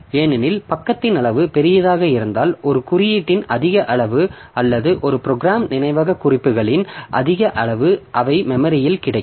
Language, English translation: Tamil, Because the page size is large then more amount of code or more amount of program memory references they will be available in the memory